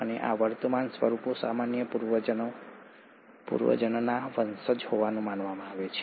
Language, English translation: Gujarati, And these present forms are believed to be the descendants of a common ancestor